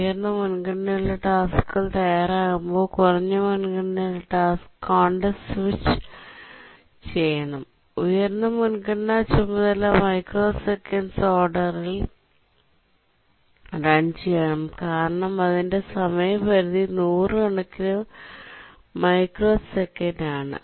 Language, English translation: Malayalam, When a high priority task becomes ready, the low priority task must be context switched and the high priority task must run and that should be of the order a few microseconds because the task deadline is hundreds of microseconds